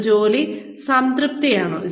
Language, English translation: Malayalam, Is it job satisfaction